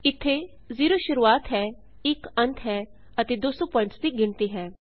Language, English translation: Punjabi, Here,0 is the start , 1 the stop and 200 the number of points